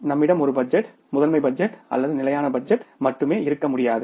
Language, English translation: Tamil, We cannot have only one level of budgeting, master budget or static budget